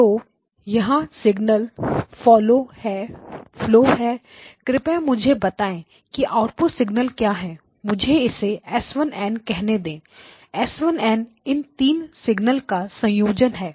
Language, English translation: Hindi, So here is the signal flow please tell me what the output signal let me call this as s of n, s of n is a combination of these three signals